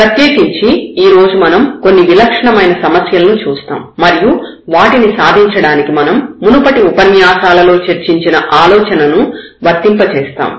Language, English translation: Telugu, And in particular today we will see some typical problems where, we will apply the idea which was discussed already in previous lectures